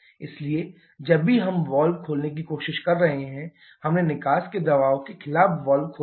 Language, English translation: Hindi, So, whenever we are trying to open the valve, we have opened the valve against the pressure of the exhaust